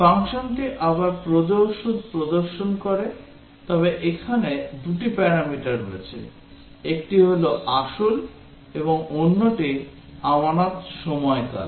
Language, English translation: Bengali, The function again displays the interest payable, but there are two parameters here; one is principal and the other is the deposit period